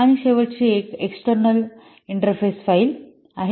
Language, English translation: Marathi, That's why the name is external interface file